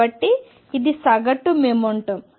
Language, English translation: Telugu, So, this is average momentum